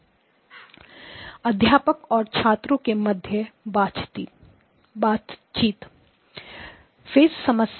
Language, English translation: Hindi, “Professor to Student conversation starts” Phase problem